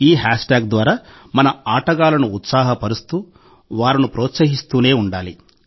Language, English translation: Telugu, Through this hashtag, we have to cheer our players… keep encouraging them